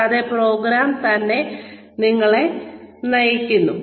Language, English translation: Malayalam, And, the program itself, guides you